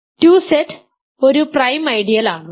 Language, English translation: Malayalam, 2Z is a prime ideal I claim ok